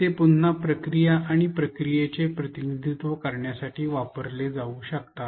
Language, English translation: Marathi, They can be used to represent again processes and procedure